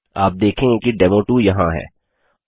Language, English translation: Hindi, And as you can see here is demo2